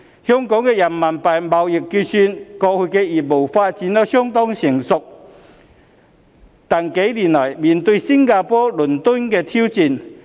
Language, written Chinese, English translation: Cantonese, 香港的人民幣貿易結算業務過去發展相當成熟，但近幾年來也面對新加坡、倫敦的挑戰。, Hong Kongs RMB trade settlement business has developed into quite a mature stage in the past but we are also facing the challenges from Singapore and London in recent years